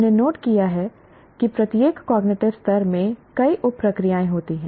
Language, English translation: Hindi, We noted each cognitive level has several sub processes